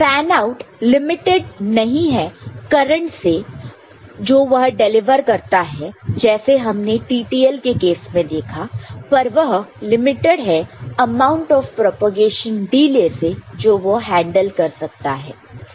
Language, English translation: Hindi, Fanout is not limited by the current it can deliver which we saw in case of TTL, but amount of propagation delay it can handle